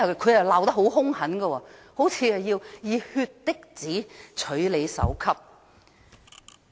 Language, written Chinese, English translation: Cantonese, 他們罵得很兇狠，好像要以血滴子取人首級一樣。, Their criticisms were vicious as if they wanted to cut off others heads